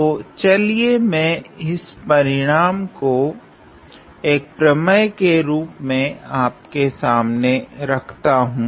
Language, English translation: Hindi, So, let it let me state that result in terms of a theorem